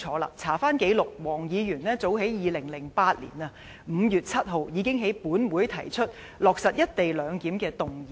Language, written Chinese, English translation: Cantonese, 翻查紀錄，黃議員早在2008年5月7日，已經在本會提出"落實一地兩檢"的議員議案。, Records show that as early as 7 May 2008 Mr WONG already proposed a motion on implementing co - location clearance